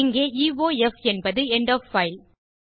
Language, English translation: Tamil, Here, EOF is the end of file